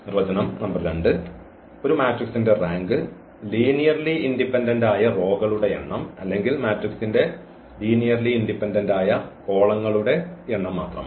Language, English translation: Malayalam, So, what we have, we can now give another definition the rank of a matrix is the number of linearly independent rows or number of linearly independent columns in a matrix that is the rank